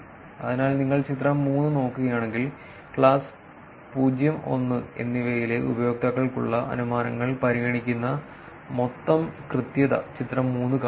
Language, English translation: Malayalam, So, if you look at figure 3, figure 3 shows the total accuracy which considers the inferences for users in class 0, and 1